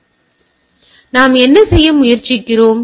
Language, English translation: Tamil, And then what we try to do